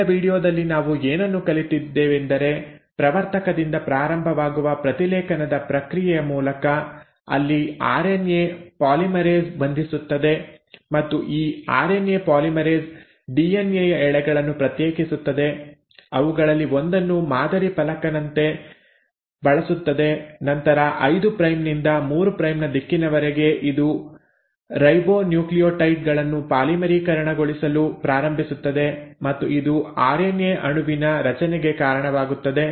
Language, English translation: Kannada, So in today’s video what we have learnt is that through the process of transcription which starts at the promoter, where the RNA polymerase binds, and this RNA polymerase separates the strands of the DNA, uses one of them as a template and then from a 5 prime to 3 prime direction it starts polymerising the ribonucleotides leading to formation of an RNA molecule